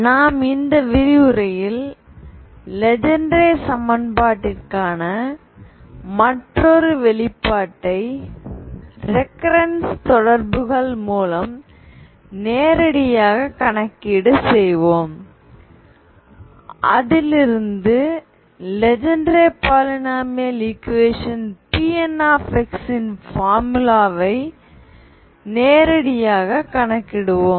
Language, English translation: Tamil, So while doing that so in this video so we will derive another expression directly from the recurrence relation of the Legendre equation from which you can directly derive this formula for the Legendre polynomial Pn x, okay